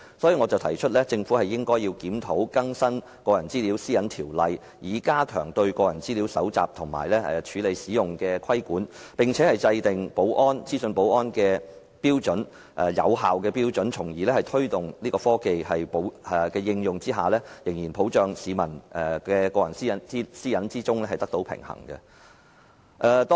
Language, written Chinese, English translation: Cantonese, 因此，我提出政府應該檢討和更新《個人資料條例》，以加強對個人資料搜集、處理及使用的規管，並制訂資訊保安的有效標準，從而在推動科技應用的同時，仍能保障市民的個人私隱，令兩者得到平衡。, For this reason I propose that the Government review and update the Personal Data Privacy Ordinance to strengthen regulation of the collection processing and use of personal data and draw up effective standards on information security so that while promoting the application of technology the personal privacy of the public can still be protected and a balance struck between the two